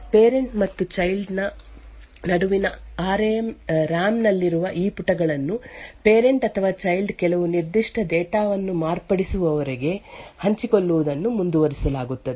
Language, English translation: Kannada, These pages in the RAM between the parent and the child continue to be shared until either the parent or the child modifies some particular data